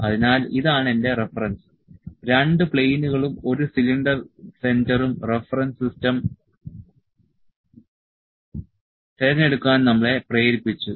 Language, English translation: Malayalam, So, this is my reference, the two planes and one cylinder centre has made us to select the reference system